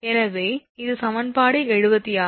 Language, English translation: Tamil, So, this is equation 76